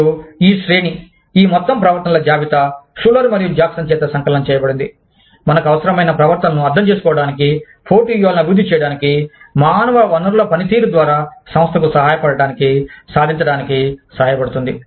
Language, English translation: Telugu, And, this range, this whole list of behaviors, that has been compiled by Schuler and Jackson, helps us understand the behaviors, that are required for us, to develop competitive strategies, through the human resource function, that can help the organization, achieve its HR objectives